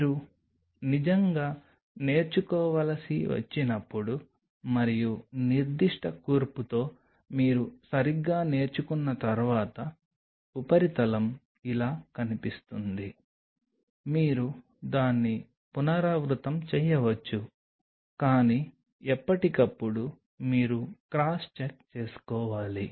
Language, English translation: Telugu, When you have to really learn and once you exactly learn with that particular composition the surface will look like this then you can repeat it, but time to time you have to cross check